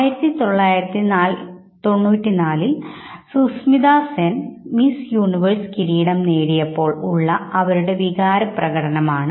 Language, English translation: Malayalam, This is the expression of feelings, when Sushmita Sen won Miss Universe in 1994